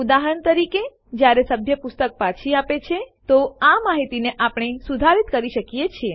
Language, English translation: Gujarati, For example, when a member returns a book, we can update this information